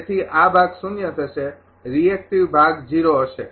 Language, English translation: Gujarati, So, this part will be zero reactive part will be 0